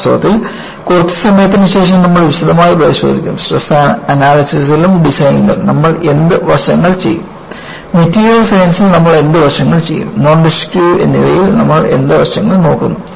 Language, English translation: Malayalam, And, in fact, a little while later, you will look at in detail, what aspects that you will do in Stress Analysis and Design, what aspects you will do in Material Science, and what aspects do we look for in the Non Destructive Testing